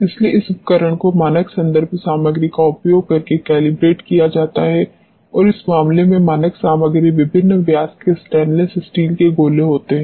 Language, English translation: Hindi, So, this instrument is calibrated using the standard reference material and, in this case, the standard material happens to be stainless steel balls of different diameters